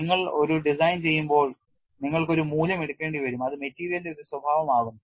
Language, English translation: Malayalam, See when you are doing a design, you will have to take a value which is a property of the material and when does become a property of the material